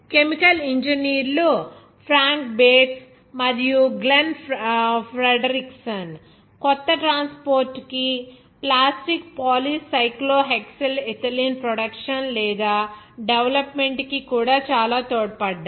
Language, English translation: Telugu, The Chemical engineers Frank Bates and Glenn Fredrickson, those are also contributed a lot to the production or development of a new transport plastic poly cyclohexyl ethylene